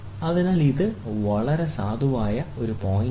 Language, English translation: Malayalam, So, this is the very very valid point